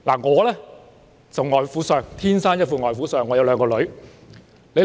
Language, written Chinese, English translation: Cantonese, 我天生一副"外父相"，有兩個女兒。, Having two daughters I was born with a father - in - law look